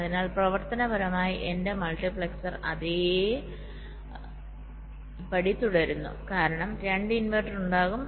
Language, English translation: Malayalam, so functionally my multiplexer remains the same because there will be two inversions